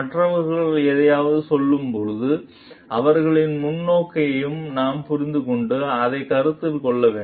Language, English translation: Tamil, Others may when they are telling something, we need to understand their perspective also, and consider it